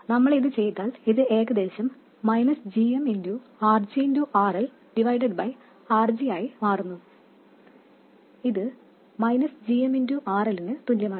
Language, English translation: Malayalam, If we do that, this approximates to minus gm rg rl divided by r g which is equal to minus gm rl